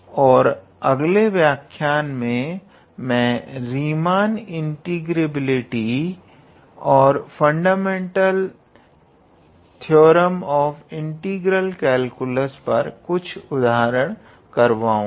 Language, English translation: Hindi, And in the next lecture we will look into a few examples related to Riemann integrability and fundamental theorem of integral calculus